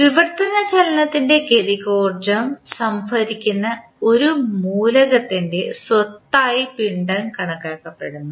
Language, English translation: Malayalam, Mass is considered a property of an element that stores the kinetic energy of translational motion